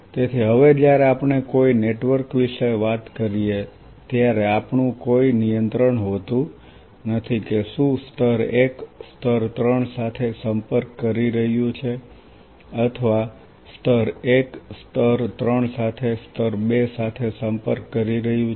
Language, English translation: Gujarati, So, now, we do not have any control when if we talk about a network that whether layer 1 is interacting with say layer one is interacting with in this case with layer 3 or layer 1 is interacting with layer 2 as well as layer one is interacting with both layer 2 and layer 3